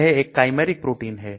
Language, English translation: Hindi, It is a chimeric protein